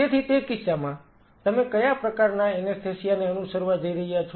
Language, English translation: Gujarati, So, in that case what kind of anesthesia you are going to follow